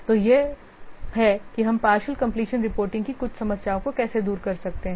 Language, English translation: Hindi, So, this is how we can overcome some of the problems of the partial completion reporting